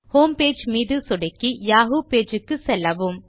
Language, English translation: Tamil, Click on the Homepage icon to go to the yahoo homepage